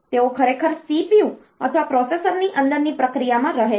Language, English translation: Gujarati, So, they are actually residing in the CPU or the process within the processor